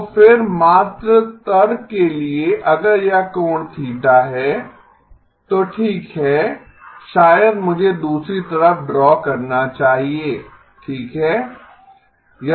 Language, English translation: Hindi, So again just for argument sake if this is the angle theta then well maybe I should draw at the other side okay